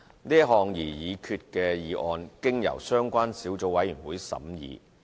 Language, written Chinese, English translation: Cantonese, 是項擬議決議案經由相關小組委員會審議。, The proposed resolution has been scrutinized by the relevant subcommittee